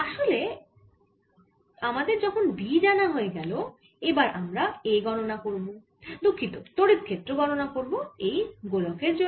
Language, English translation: Bengali, so once we are done with b, we will now calculate a, the sorry ah, the electric field due to this sphere